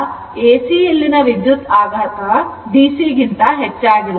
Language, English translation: Kannada, So, shock in AC will be more than the DC right